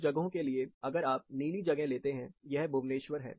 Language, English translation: Hindi, Say some of these places, if you take this blue, this is Bhuvaneshwar